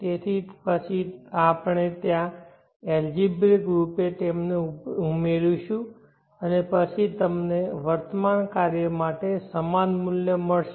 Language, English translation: Gujarati, So then there we algebraically add them and then you will get the equivalent value for the present work